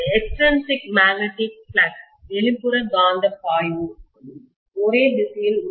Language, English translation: Tamil, The extrinsic magnetic flux is in the same direction